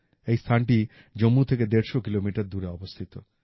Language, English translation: Bengali, This place is a 150 kilometers away from Jammu